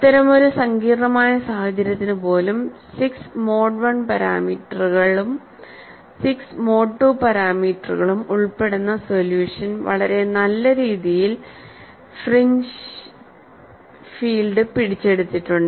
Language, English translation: Malayalam, Even for such a complex situation, you find a 6 parameter, involving 6 mode 1 parameters, and 6 mode 2 parameters, has reasonably captured the fringe field